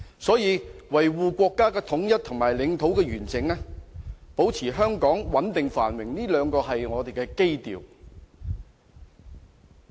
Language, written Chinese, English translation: Cantonese, 所以，維護國家的統一和領土完整，以及保持香港的繁榮和穩定，這兩點是我們的基調。, Therefore upholding national unity and territorial integrity and maintaining the prosperity and stability of Hong Kong are our two keynotes